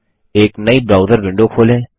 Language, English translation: Hindi, Open a new browser window